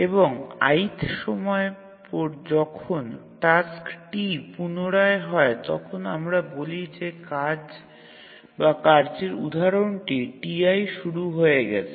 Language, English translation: Bengali, And when the iath time the task t recurs, we say that the job or task instance t, said to have arrived